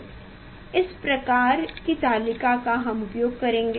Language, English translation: Hindi, this type of table we will use